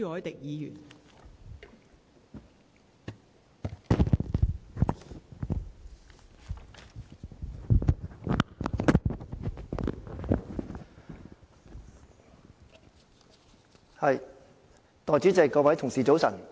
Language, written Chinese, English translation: Cantonese, 代理主席，各位同事早晨。, Deputy President Honourable colleagues good morning